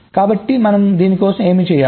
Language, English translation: Telugu, so what we do